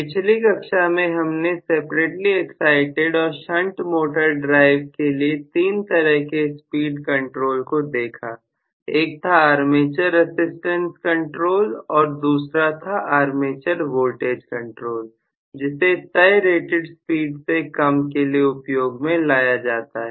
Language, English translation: Hindi, Okay, so in the last class we had looked at the 3 types of speed control schemes for the separately excited or shunt motor drive, which are actually the armature resistance control scheme and armature voltage control scheme which are meant for below rated speed operation